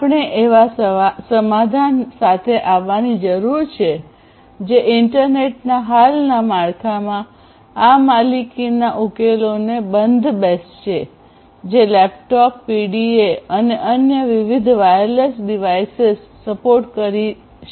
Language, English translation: Gujarati, We need to come up with a solution which can fit these proprietary solutions to the existing framework of the internet; which is, which is already supporting laptops PDAs and different other wireless devices